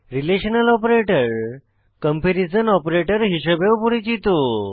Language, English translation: Bengali, Relational operators are also known as comparison operators